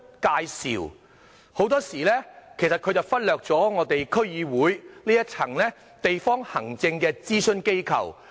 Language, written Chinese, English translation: Cantonese, 他們許多時候忽略了區議會這一層地方行政諮詢機構。, Government officials often neglect the local administration advisory body that is the District Councils of which I am also a member